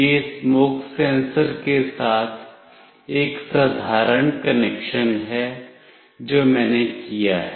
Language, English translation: Hindi, This is a simple connection with the smoke sensor that I have done